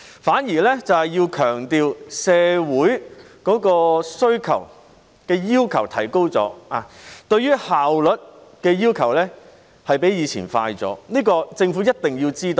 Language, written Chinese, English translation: Cantonese, 反而，我們想強調社會的要求已提高，要求比以前更快的效率，這是政府一定要知道的。, Instead we want to emphasize that the community has higher expectations now and asks for better efficiency than before . This is something that the Government must be aware of